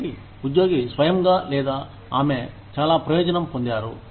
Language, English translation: Telugu, So, the employee himself or herself, has benefited the most